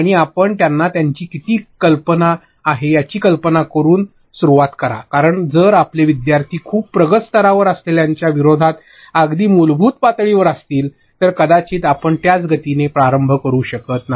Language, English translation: Marathi, And you start by simply taking their idea how much do they know because if your learners are at a very basic level as opposed to your learners who are at a very advanced level, you cannot possibly start at the same pace